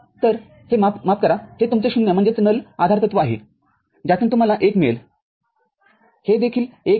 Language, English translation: Marathi, So, so, this is sorry, this is your null postulate from that you will be getting 1 this is also getting 1